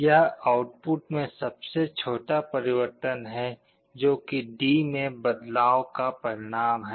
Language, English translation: Hindi, This is the smallest change that can occur in the output voltage as a result of a change in D